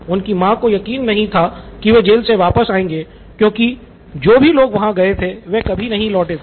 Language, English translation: Hindi, His mom didn’t think he would come back at all because people who went there never returned